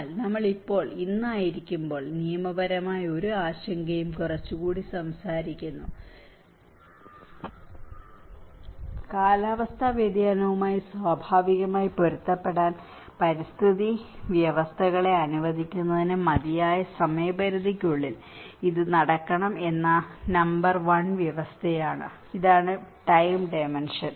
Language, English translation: Malayalam, But now, when we are today we are talking a little more of a legal concern as well so, the number 1 condition that it should take place within a time frame sufficient to allow ecosystems to adapt naturally to climate change, this is where the time dimension